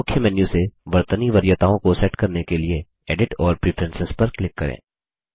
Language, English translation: Hindi, To set spelling preferences, from the Main menu, click Edit and Preferences